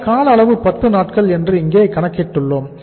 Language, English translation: Tamil, The duration we have calculated here is 10 days